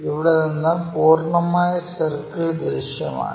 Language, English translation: Malayalam, This is the top view, complete circle visible